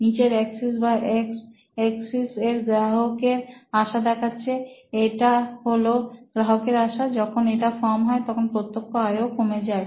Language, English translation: Bengali, On the bottom axis or the x axis, you find that the customer visits, these are customer visits, when they are few, you have low revenue